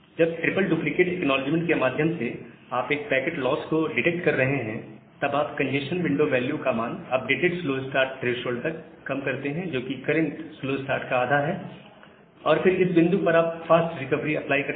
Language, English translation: Hindi, Whenever you are detecting a packet loss through three duplicate acknowledgement, you reduce the congestion window value to the updated slow start threshold that is half of the current slow start, and apply fast recovery at that point